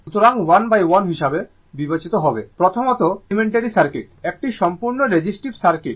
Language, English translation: Bengali, So, we will considered 1 by 1: first, elementary circuit, a purely resistive circuit